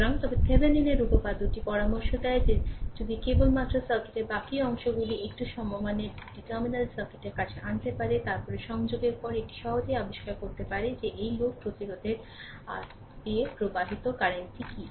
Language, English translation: Bengali, So, but Thevenin’s theorem suggests that if you if you just rest of the circuit, if you can bring it to an equivalent two terminal circuit, then after that you connect this one you can easily find out what is the current flowing through this load resistance R right